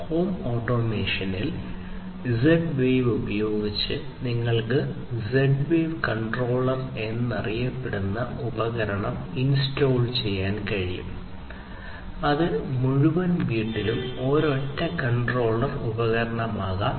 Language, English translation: Malayalam, So, in home automation you know using Z wave what you might be doing is that you can install something known as the Z wave controller device which can be you know it is a single controller device there in the entire home